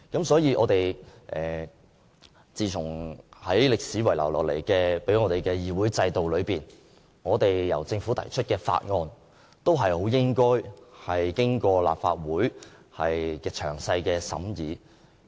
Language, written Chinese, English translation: Cantonese, 所以，根據歷史遺留給我們的議會制度，由政府提出的法案均應經過立法會詳細審議。, Therefore in keeping with the parliamentary system left behind by history Bills introduced by the Government should all undergo meticulous scrutiny by the Legislative Council